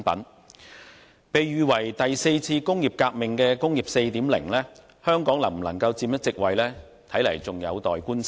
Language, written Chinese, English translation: Cantonese, 香港能否在被喻為第四次工業革命的"工業 4.0" 中佔一席位，尚有待觀察。, Whether Hong Kong can secure a place in Industry 4.0 which is regarded as the fourth industrial revolution still remains to be observed